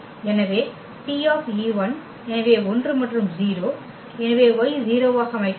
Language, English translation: Tamil, So, the T e 1, so 1 and 0, so y will be set to 0